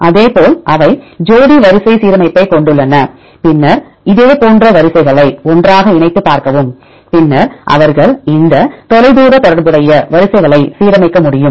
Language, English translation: Tamil, Likewise they have the pairwise alignment, then see the similar sequences put together right and then they can align this distant related sequences